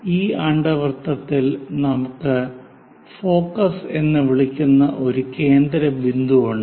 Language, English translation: Malayalam, In this ellipse, there is a focal point which we are calling focus